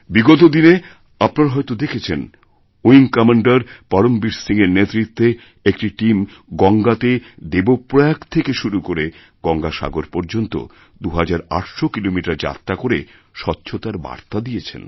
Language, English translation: Bengali, It might have come to your notice some time ago that under the leadership of Wing Commander Param Veer Singh, a team covered a distance of 2800 kilometres by swimming in Ganga from Dev Prayag to Ganga Sagar to spread the message of cleanliness